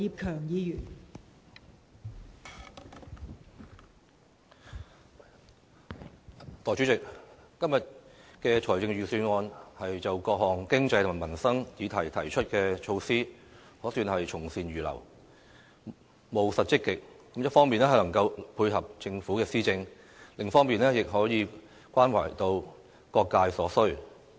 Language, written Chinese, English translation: Cantonese, 代理主席，今年的財政預算案就各項經濟及民生議題提出的措施，可算是從善如流，務實積極，一方面能夠配合政府的施政，另一方面亦可以關懷到各界所需。, Deputy President this years Budget has introduced a number of initiatives to address various economic and livelihood issues . I consider the measures pragmatic and proactive reflecting the Governments readiness to accept good proposals . The Budget does not only dovetail with the Governments policy implementation but it also takes care of the needs of various sectors in society